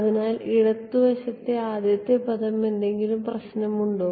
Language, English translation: Malayalam, So, first term on the left hand side any problem